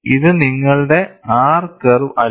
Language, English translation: Malayalam, This is not your R curve